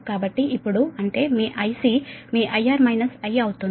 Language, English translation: Telugu, so now that means your i c will be your i r minus i